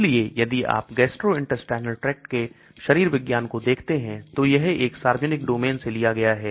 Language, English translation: Hindi, So if you look at the physiology of the gastrointestinal tract, this was taken from a public domain